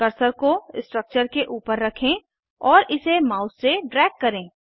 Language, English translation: Hindi, Place the cursor on the structure and drag it with the mouse